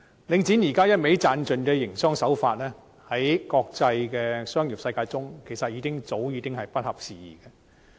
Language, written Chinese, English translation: Cantonese, 領展現時只顧"賺盡"的營商手法，在國際商業世界中其實早已不合時宜。, The present business approach of Link REIT which only cares about maximizing profits can no longer keep up with the international business community